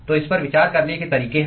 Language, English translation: Hindi, So, there are ways to consider that